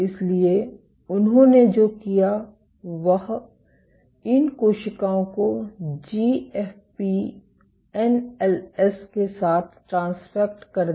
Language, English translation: Hindi, So, what they did was they transfected these cells with GFP NLS